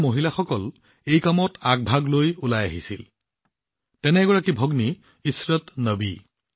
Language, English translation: Assamese, The women here came to the forefront of this task, such as a sister Ishrat Nabi